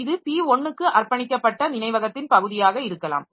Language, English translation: Tamil, So, this may be the portion of the memory dedicated for P2